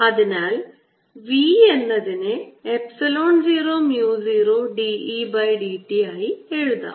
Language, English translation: Malayalam, so we take this v to be equal to epsilon zero, mu, zero d e, d t